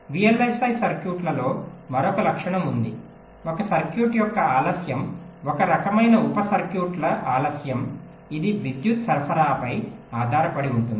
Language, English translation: Telugu, there is another property in vlsi circuits is that, ah, the delay of a circuit, delay of a some kind of a sub circuits, it depends on the power supply